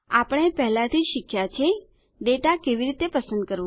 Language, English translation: Gujarati, We have already learnt how to select data